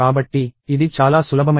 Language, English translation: Telugu, So, it is a fairly simple program